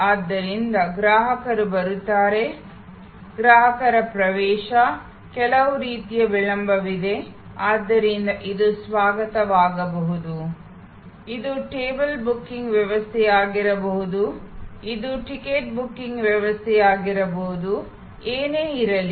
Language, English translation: Kannada, So, customer comes in, customers entry, there is some kind of delay, so this can be the reception, this can be the table booking system, this can be the ticket booking system, whatever